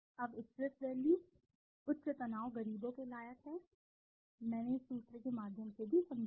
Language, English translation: Hindi, Now stress value, the higher the stress value the poor the fit that I explained also through this formula